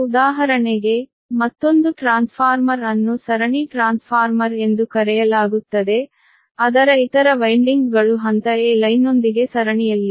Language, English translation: Kannada, for example, the another transformer is there, called series transformer, is other winding is in se, series with the phase a line, right